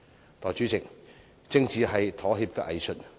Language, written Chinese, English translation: Cantonese, 代理主席，政治是妥協的藝術。, Deputy President politics is an art of compromise